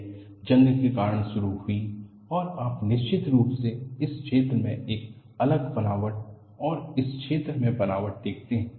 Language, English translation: Hindi, This is initiated because of corrosion and you definitely see a difference texture in this zone and the texture in this zone